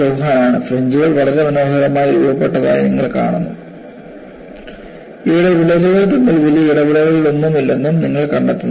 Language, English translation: Malayalam, Chauhan, way back and you find the fringes are very nicely formed; and you also find that, there is no major interaction between the cracks here